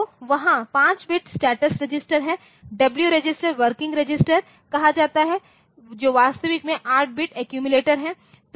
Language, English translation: Hindi, So, there are 5 bit status register is there and W register is called working register which is the actual the 8 bit accumulator that we have ok